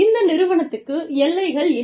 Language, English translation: Tamil, This organization has no boundaries